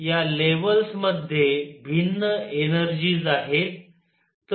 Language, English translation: Marathi, These levels have different energies